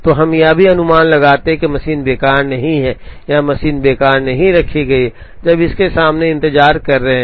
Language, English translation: Hindi, So, we also make an assumption that the machine is not idle or the machine is not kept idle, when there are jobs waiting in front of it